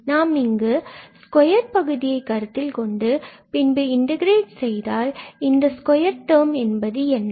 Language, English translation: Tamil, So, if we consider this square and then integrate, so, what is there in the square